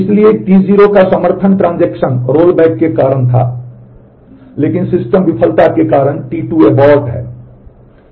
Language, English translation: Hindi, So, T 0 support was due to the transaction rollback, but T 2 s abort is because of the system failure